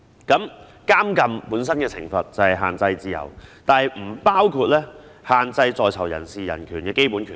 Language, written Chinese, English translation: Cantonese, 監禁本身的懲罰是限制自由，但不包括限制在囚人士的人權和基本權利。, Punishment in prisons per se is restriction of freedom but it does not include restriction of human rights and the basic rights of prisoners